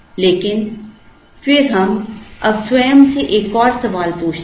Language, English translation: Hindi, But, then we now, ask ourselves another question